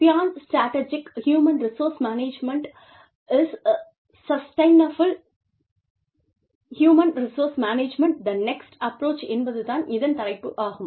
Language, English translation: Tamil, It is called, Beyond strategic human resource management, is sustainable human resource management, the next approach